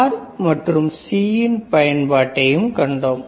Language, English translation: Tamil, Then we have seen the use of R and C right